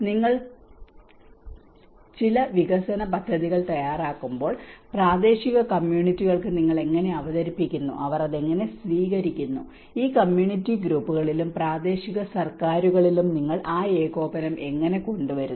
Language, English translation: Malayalam, When you make certain development scheme, how you present to the local communities, how they take it, how you bring that coordination within these community groups and the local governments